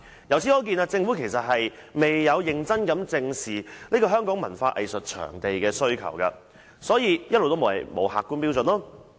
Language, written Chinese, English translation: Cantonese, 由此可見，政府未有認真正視香港文化藝術場地的需求，所以一直沒有客觀標準。, It is thus evident that the Government has not faced squarely and seriously the need of cultural and arts facilities in Hong Kong and thus it has never laid down any objective standard